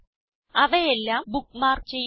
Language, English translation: Malayalam, * Bookmark all of them